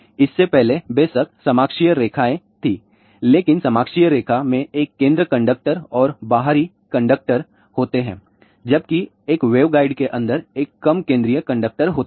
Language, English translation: Hindi, Before that of course, coaxial lines were there, but coaxial line has a center conductor and outer conductor, whereas, inside a waveguide there is a low central conductor